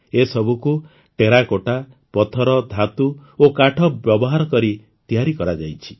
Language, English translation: Odia, These have been made using Terracotta, Stone, Metal and Wood